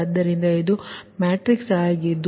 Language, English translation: Kannada, so this is the matrix